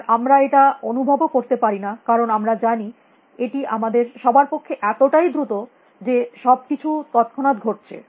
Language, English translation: Bengali, And we do not realize it because we know it is so fast for all of us here that everything happens instantaneously